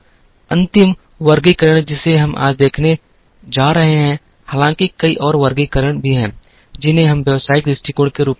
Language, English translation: Hindi, The last classification that we are going to see today, though there are many more classifications, are what we call as business perspective